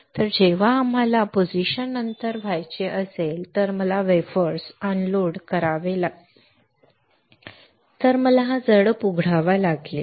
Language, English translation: Marathi, So, that when we want to after the position if I want to unload the wafers unload the substrate I had to open this valve